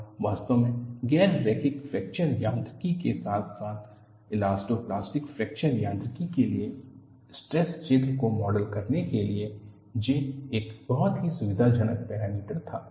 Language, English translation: Hindi, And in fact, for non linear fracture mechanics as well as elasto plastic fracture mechanics, J was a very convenient parameter to model the stress field